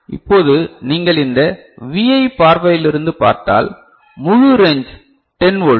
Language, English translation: Tamil, Now if you look at it from this Vi point of view right then the entire range is 10 volt right